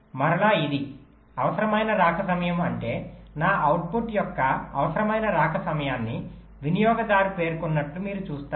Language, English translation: Telugu, required arrival time means, you see, the user have specified the required arrival time of my output